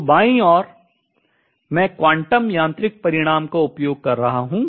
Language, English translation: Hindi, So, on the left hand side, I am using a quantum mechanical result, on the right hand side, I am using the classical result